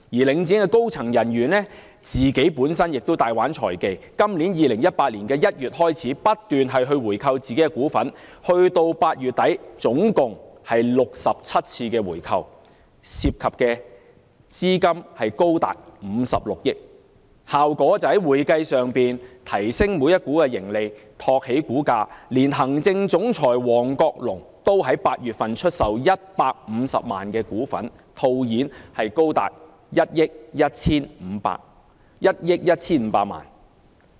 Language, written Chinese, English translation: Cantonese, 領展的高層人員本身亦大玩財技，在今年2018年1月起，不斷回購自己的股份，直至8月底總共作出了67次回購，涉及資金高達56億元，效果就是在會計上提升了每股盈利，托起股價，連行政總裁王國龍亦在8月份出售了150萬股，套現高達1億 1,500 萬元。, Starting from January 2018 the Link REIT have repeatedly bought back its own shares and have made a total of 67 share buybacks as at the end of August involving an enormous amount of 5.6 billion . In doing so the earnings per share will increase in terms of accounting thus boosting the share price . Even its Chief Executive Officer George HONGCHOY has sold 1.5 million shares in August to cash in as much as 115 million